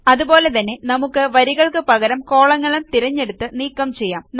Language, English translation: Malayalam, Similarly we can delete columns by selecting columns instead of rows